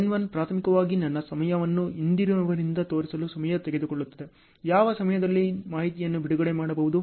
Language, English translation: Kannada, N1 is primarily the time it takes to show my time from the predecessor what time the information can be released